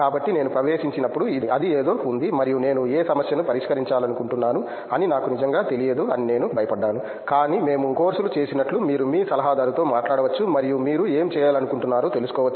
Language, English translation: Telugu, So, that was something when I got in and I was worried that I did not really know what problem I wanted to solve, but as we did the courses you can talk to your adviser and figure out what you want to do